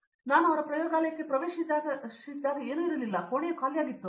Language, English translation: Kannada, So, when I entered his lab nothing was there, it is like room is empty